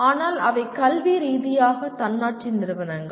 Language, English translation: Tamil, But they are academically autonomous institutions